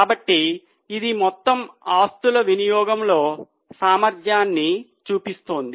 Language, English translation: Telugu, So, this is showing efficiency in utilization of total assets